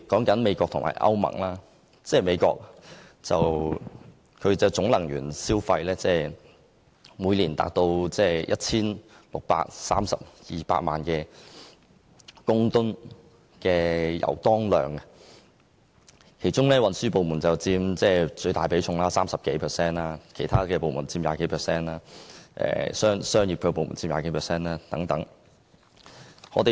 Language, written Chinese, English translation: Cantonese, 以美國為例，該國每年的總能源消費為16億 3,200 萬公噸油當量，其中運輸部門佔最大比重，超過 30%， 其次為產業部門及住商部門，各佔逾 20%。, Let us see the case of the United States . Its annual total consumption of energy is 1.632 billion tonnes of oil equivalent with the transport sector taking up the largest proportion of over 30 % followed by the production sector and the residential and commercial sector each of which accounting for more than 20 %